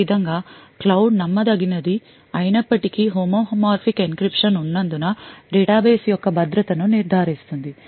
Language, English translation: Telugu, In this way even though this cloud is un trusted the security of the database is ensured because of the homomorphic encryption present